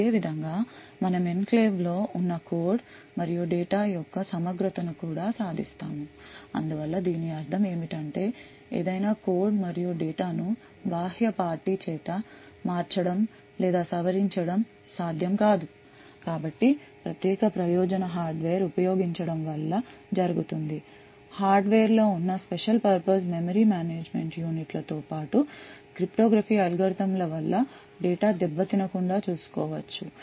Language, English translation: Telugu, In a similar way we also achieve integrity of the code and data that is present within the enclave so what we mean by this is that any code and data cannot be tampered or modified by an external party so this is typically done again using special purpose hardware, special purpose memory management units present in the hardware as well as a lot of cryptography algorithms so ensure that the data is not tampered with